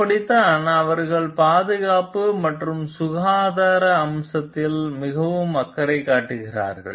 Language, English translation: Tamil, That is how they are also very much concerned with the safety and health aspect